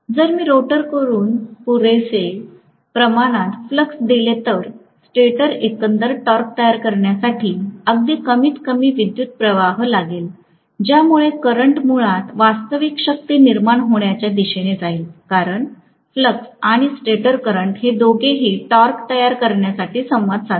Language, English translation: Marathi, If I give just sufficient amount of flux from the rotor then the stator might draw very minimal current to produce the overall torque that current might basically go towards producing real power, because the flux and the stator current both of them interact to produce the torque